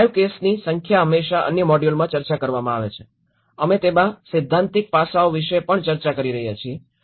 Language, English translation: Gujarati, And always discussed in other modules as well along with the live cases, we are also discussing about the theoretical aspects into it